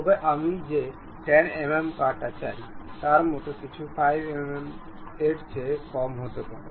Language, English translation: Bengali, But something like 10 mm cut I would like to have, may be lower than that 5 mm